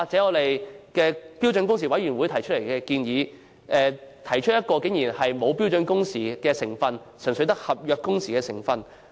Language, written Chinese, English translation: Cantonese, 又例如標準工時委員會提出的建議，竟然沒有標準工時的成分，純粹只有合約工時的成分。, To our surprise it carries only the element of contractual working hours but not standard working hours